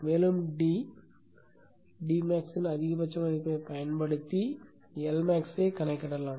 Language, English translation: Tamil, This would be the value of the index and you can calculate the L max using maximum value of D max